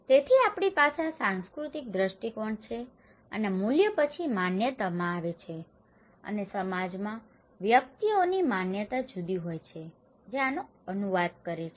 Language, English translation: Gujarati, So, we have this cultural perspective and these values then come into beliefs, okay and individuals in a society have different beliefs that translate this one